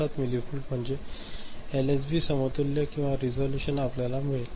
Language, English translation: Marathi, 77 millivolt is the LSB equivalent or the resolution that you can get, fine